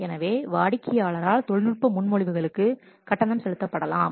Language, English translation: Tamil, So, then the fee could be paid for technical proposals by the customer